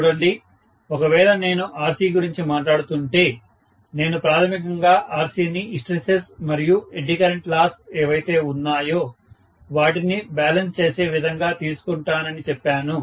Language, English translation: Telugu, See, if I am talking about Rc, I said basically that Rc is you know taken to be generally in such a way that it balances whatever is the hysteresis and eddy current loss